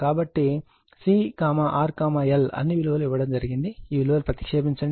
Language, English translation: Telugu, So, C R L all values are given you substitute all this value